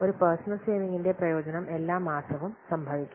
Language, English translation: Malayalam, Similarly, the benefit of personal savings may occur every month